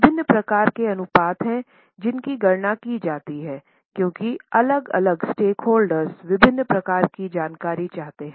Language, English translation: Hindi, There are variety of ratios which are calculated because different stakeholders want different type of information